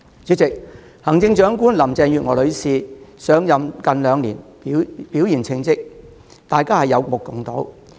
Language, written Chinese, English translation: Cantonese, 主席，行政長官林鄭月娥女士上任近兩年，表現稱職，大家有目共睹。, President it is clear that the Chief Executive Mrs Carrie LAM has performed well since taking office almost two years ago